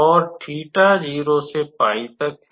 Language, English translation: Hindi, And theta will run from 0 to pi